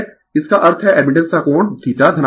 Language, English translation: Hindi, That means, in that case angle of admittance is your positive right